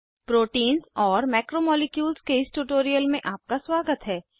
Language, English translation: Hindi, Welcome to this tutorial on Proteins and Macromolecules